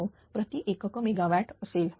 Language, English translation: Marathi, 99 per unit megawatt